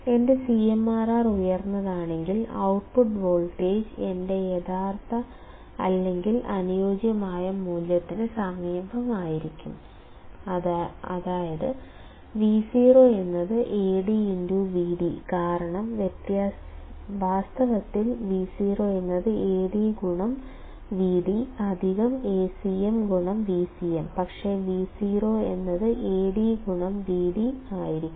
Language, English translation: Malayalam, If my CMRR is high; output voltage will be close to my realistic or ideal value, which is Vo equals to Ad; Vd because in reality Vo equals to Ad into Vd plus Acm into Vcm, but ideally Vo would be Ad into Vd